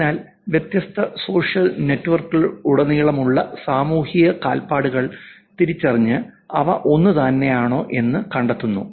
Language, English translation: Malayalam, So, tracking social footprint identities across different social network which is finding out whether they are the same